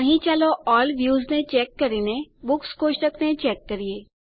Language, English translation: Gujarati, Here, let us check All Views and check the Books table